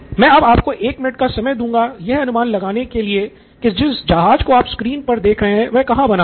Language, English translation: Hindi, I will give you a minute to guess where the ship that you see on the screen was made